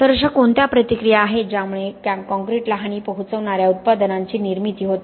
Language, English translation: Marathi, Okay, so what are these reactions that lead to the formation of products that are causing harm to the concrete